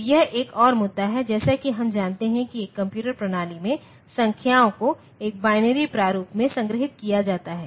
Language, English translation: Hindi, So, that is another issue and as we know that in a computer system, numbers are stored in a binary format